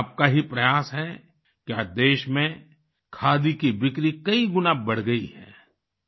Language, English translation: Hindi, It is only on account of your efforts that today, the sale of Khadi has risen manifold